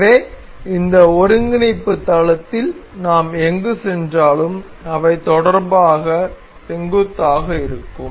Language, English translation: Tamil, So, anywhere we move in this coordinate plane they will remain perpendicular in relation